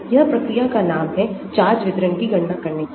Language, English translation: Hindi, this is the name of the procedure to calculate the charge distribution